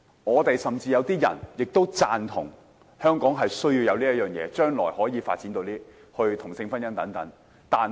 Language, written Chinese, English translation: Cantonese, 我們建制派有些議員甚至也贊同香港需要這樣做，在將來可以接受同性婚姻。, Some Members in the pro - establishment camp even agree that Hong Kong needs to do so and may accept same - sex marriage in the future